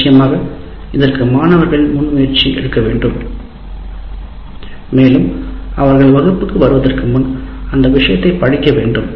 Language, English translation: Tamil, But of course, this requires the students also to take initiative and they have to read the material and come to the class